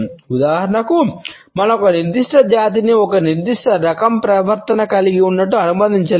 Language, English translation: Telugu, For example, we cannot associate a particular race as having a certain type of a behaviour